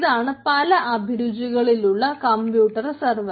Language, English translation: Malayalam, ah, different flavors of compute server